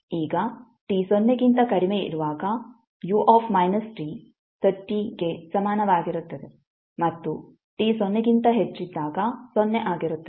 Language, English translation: Kannada, Now u minus t is equal to 30 when t less than 0 and 0 when t greater than 0